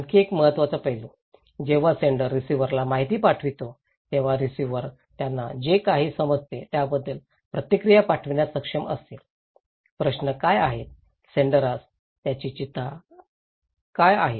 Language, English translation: Marathi, Another important aspect, when sender is sending informations to receiver, receiver will be same time able to feedback what they understand, what are the questions, concerns they have to the senders